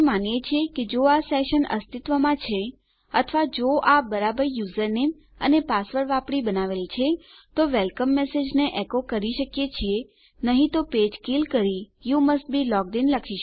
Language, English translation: Gujarati, Were saying, if this session exists or if it has been created by using a correct username and password we can echo out our friendly message to say Welcome otherwise kill the page and say You must be logged in.